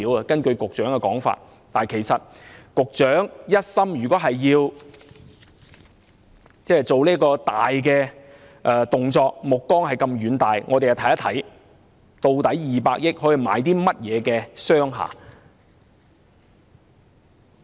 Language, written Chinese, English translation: Cantonese, 局長，如果一心要做這大動作，目光這麼遠大，我們又看看200億元可以買到甚麼商廈。, Since the Secretary has his mind set on such a great move with such a far - reaching vision let us take a look at what commercial buildings can be purchased with 20 billion